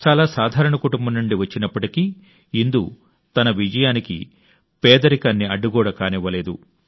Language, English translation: Telugu, Despite being from a very ordinary family, Indu never let poverty become an obstacle in the path of her success